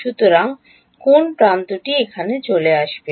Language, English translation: Bengali, So, which edges will come over here